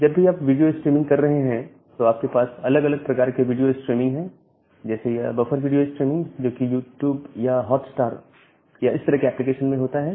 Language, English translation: Hindi, And whenever you are doing the video streaming, there are different kinds of video streaming, like this buffer video steaming, which is there in case of YouTube or Hotstar or that kind of application